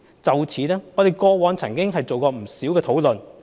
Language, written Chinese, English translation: Cantonese, 就此，我們過往曾進行不少討論。, In this regard we have had considerable deliberations in the past